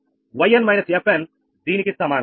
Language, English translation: Telugu, yn minus fn is equal to this one